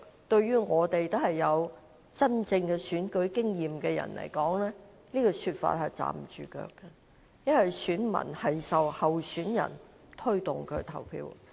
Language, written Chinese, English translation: Cantonese, 對我們這些有真正選舉經驗的人來說，這說法是站不住腳的，因為選民會受候選人推動而投票。, In the eyes of people like us who have real experience of standing for election this argument is untenable because electors are motivated by candidates to vote